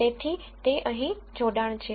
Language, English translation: Gujarati, So, that is the connection here